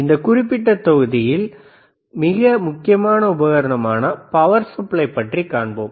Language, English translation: Tamil, So, in this particular module let us see the extremely important equipment, power supply